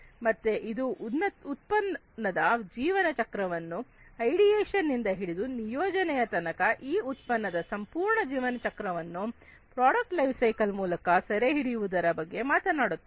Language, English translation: Kannada, So, it talks about the lifecycle of a product from ideation till deployment the entire lifecycle of a product is captured using these product life cycles